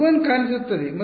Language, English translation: Kannada, U 1 will appear and